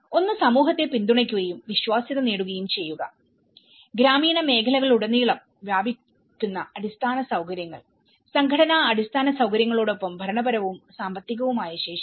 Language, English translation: Malayalam, One is supporting and gaining credibility for the community, infrastructure spread throughout the rural areas, administrative and financial capacity coupled with organizational infrastructure